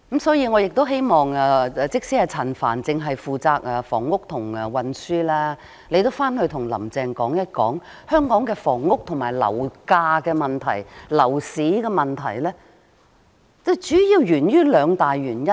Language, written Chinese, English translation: Cantonese, 所以，即使陳帆局長只負責房屋和運輸範疇，我也希望他回去後能跟"林鄭"說一說，香港的房屋、樓價及樓市問題主要源於兩大原因。, Hence even though Secretary Frank CHAN is only responsible for the housing and transport portfolios I also hope that he could go back and tell Carrie LAM the problems in local housing property price and property market mainly stem from two major reasons